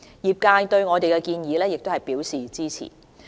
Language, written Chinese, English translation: Cantonese, 業界對我們的建議亦表示支持。, The sector also supports our proposal